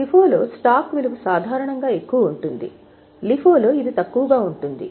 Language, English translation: Telugu, In FIFO, the value of stock is normally higher, in LIFO it is lesser